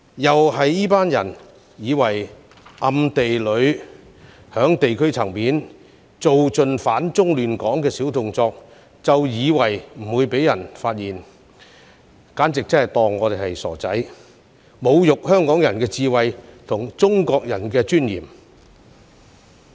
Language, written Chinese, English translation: Cantonese, 這群人暗地裏在地區層面做盡"反中亂港"的小動作，以為不會被人發現，簡直把我們當作傻瓜，侮辱香港人的智慧和中國人的尊嚴。, They played all tricks in secret to oppose China and destabilize Hong Kong in the belief that they would not be discovered . By seeing us as fools they have insulted the wisdom of Hong Kong people and the dignity of Chinese people